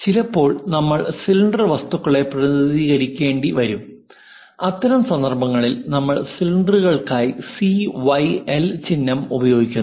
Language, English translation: Malayalam, Sometimes, we might be going to represent cylindrical objects in that case we use CYL as cylinders